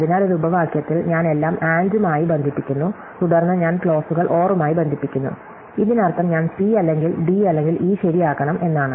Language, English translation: Malayalam, So, in a clause, I connect everything with AND, and then I connect the clauses with OR, this means that I must makes C true or D true or E true